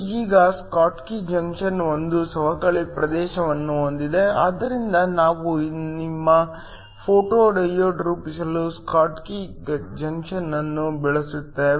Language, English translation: Kannada, Now the schottky junction is a one that has a depletion region, so we use a schottky junction to form your photo diode